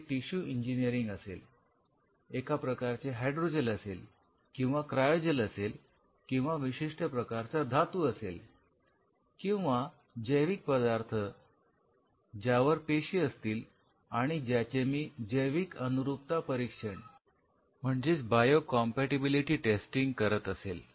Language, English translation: Marathi, So, it is a tissue engineering it is some kind of hydro gel or a cryogel or some kind of metal or some kind of a biomaterial something I am testing the bio compatibility and the cells around top of it right